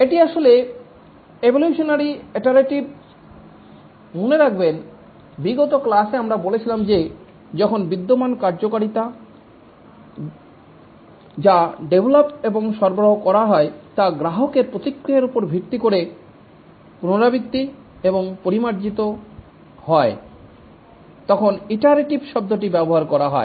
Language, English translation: Bengali, Remember in the last class we had said that the term iteration is used when existing functionality which was delivered, developed and delivered, is iterated and refined based on customer feedback